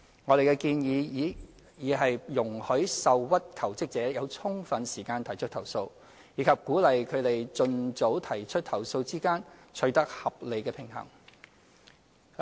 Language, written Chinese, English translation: Cantonese, 我們的建議已在容許受屈求職者有充分時間提出投訴，以及鼓勵他們盡早提出投訴之間取得合理平衡。, Our proposal has already struck a balance between allowing sufficient time for aggrieved jobseekers to file complaints and encouraging jobseekers to file complaints as soon as possible